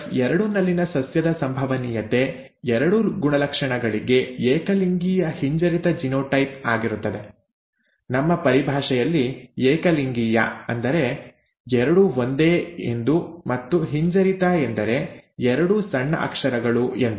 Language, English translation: Kannada, The probability of a plant in F2 with homozygous recessive genotype for both characters, ‘homozygous’ both the same, ‘recessive’ both small letters in our terminology